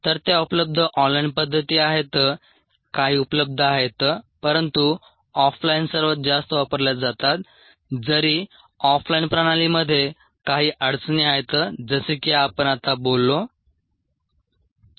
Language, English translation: Marathi, a few ah are available, but off line are ah the most used, although there are difficulties with off line system such as the one that we talked about just now